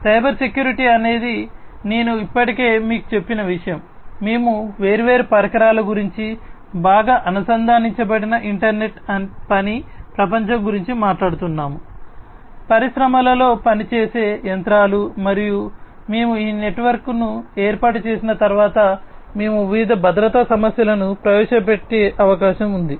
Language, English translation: Telugu, Cybersecurity is something that I have already told you, we are talking about a well connected internet worked world of different devices, different machines working in the industry and once we have set up this network, it is quite possible that we will introduce different security issues